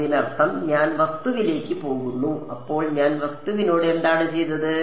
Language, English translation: Malayalam, That means, I am going into the object; so, what I have done to the object